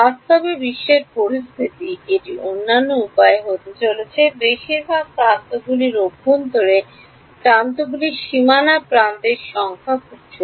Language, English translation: Bengali, In the real world scenario it is going to be the other way most edges are interior edges the number of boundary edges is very small